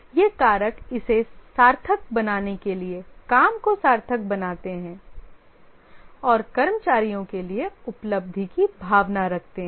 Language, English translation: Hindi, These factors make it worthwhile, make the job worthwhile and there is a sense of achievement for the employees